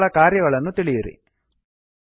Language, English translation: Kannada, And Find out What do they do